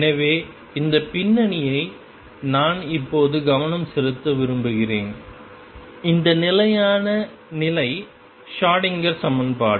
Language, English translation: Tamil, So, having given this background what I want to focus on now is this stationary state Schrödinger equation